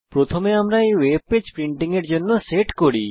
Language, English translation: Bengali, First lets set up this web page for printing